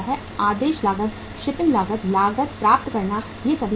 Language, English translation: Hindi, Ordering cost, shipping cost, receiving costs, all these are the costs